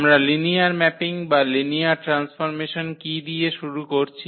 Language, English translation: Bengali, So, let me start with what is linear mapping or linear transformation